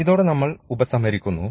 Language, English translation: Malayalam, So, with this we come to the conclusion now